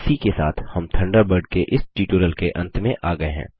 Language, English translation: Hindi, This brings us to the end of this tutorial on Thunderbird